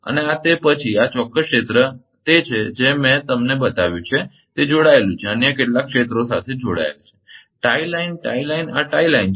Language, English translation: Gujarati, And this is then this particular area it is I showed you that it is connected to some other areas tie line tie line these are tie line